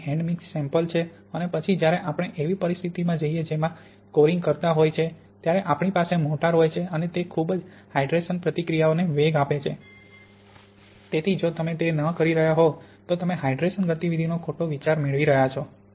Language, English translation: Gujarati, That this is the hand mix sample here and then when we go to a situation which is more like the curing we have in mortar then we very much accelerate the hydration reactions, so if you are not doing that then you really will get a false idea of the hydration kinetics